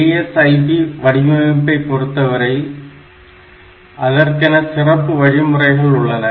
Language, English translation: Tamil, So, for the ASIP design, we have got special instructions